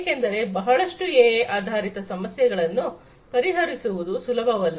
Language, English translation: Kannada, Because, many of these AI based problems are not easy to solve